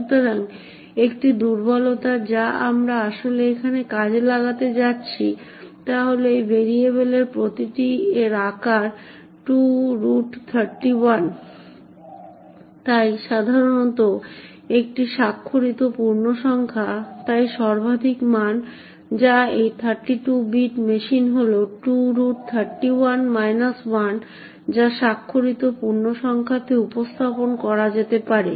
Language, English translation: Bengali, So the one vulnerability that we are actually going to exploit here is that each of these variables int has a size of 2^31, so typically this is a signed integer so the maximum value that can be represented in the signed integer on this 32 bit machine is 2^31 minus 1